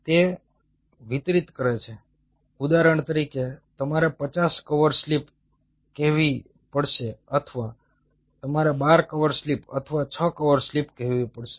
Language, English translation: Gujarati, say, for example, you have to coat, say, fifty cover slips, or you have to coat, say, twelve cover slips or six cover slips